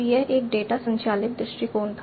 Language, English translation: Hindi, So, this such a data driven approach